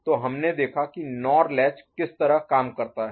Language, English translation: Hindi, So, we had seen the way the NOR latch works